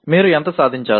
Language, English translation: Telugu, How much should you attain